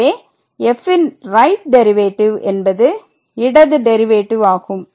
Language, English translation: Tamil, So, the right side derivative of this function is 3 where as the left hand derivative